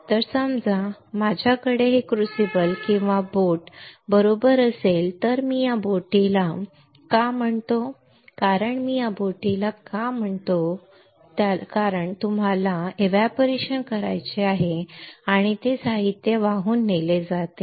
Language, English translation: Marathi, So, suppose I have this crucible or boat right I call this boat why I call this boat because it carries the material that you want to evaporate right